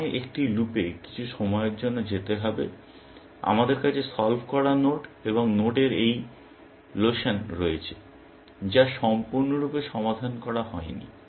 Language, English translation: Bengali, I will go into some sort of a loop while; we have this lotion of the solved node and node, which is not completely solved